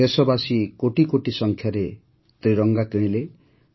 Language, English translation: Odia, The countrymen purchased tricolors in crores